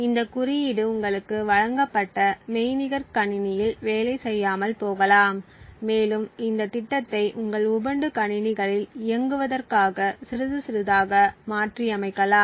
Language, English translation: Tamil, This code may not work on the virtual machine that was given to you along with the course and you may to tweak up this program a little bit and in order to get it run on your Ubuntu machines